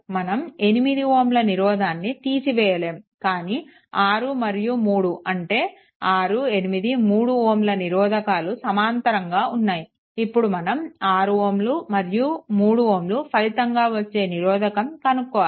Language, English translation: Telugu, So, we cannot a your eliminate 8 ohm, but 6 and 3, 6, 8, 3 all are in parallel, but take the equivalent of 6 and 3 these two are in parallel